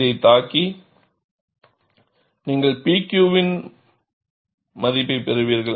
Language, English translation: Tamil, It hits this and you get the value of P Q